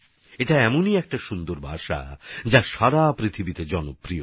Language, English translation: Bengali, It is such a beautiful language, which is popular all over the world